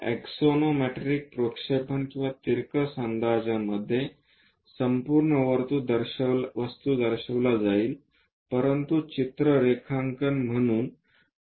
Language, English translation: Marathi, In axonometric projections and oblique projections, the complete object will be shown, but as a pictorial drawing